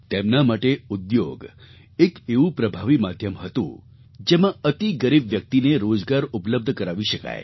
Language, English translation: Gujarati, According to him the industry was an effective medium by which jobs could be made available to the poorest of the poor and the poorer